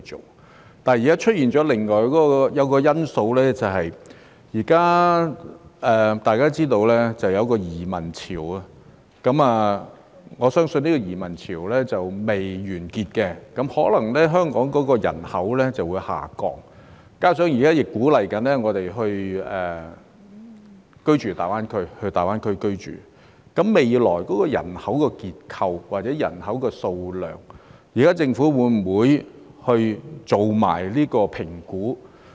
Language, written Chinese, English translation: Cantonese, 問題是現在出現另外一個因素，便是大家也知道，現在出現移民潮，我相信這個移民潮尚未完結，香港人口可能會下降，加上現在亦鼓勵市民前往大灣區居住，對於未來人口結構或人口數量，政府會否一併進行評估？, The problem is that there is now another factor and that is as we all know a wave of emigration has emerged and I believe this wave of emigration has not ended yet and the population of Hong Kong may drop and together with the fact that members of the public are encouraged to move to live in the Greater Bay Area will the Government also assess the future population structure or size?